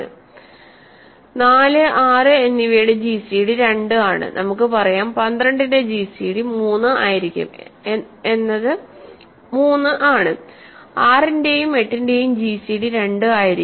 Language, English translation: Malayalam, Gcd of 4 and 6 will be 2, gcd of 3 and let us say 12 is 3, gcd of 6 and 8 will be 2 and so on, ok